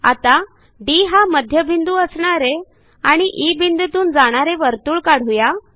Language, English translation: Marathi, Lets now construct a circle with centre as D and which passes through E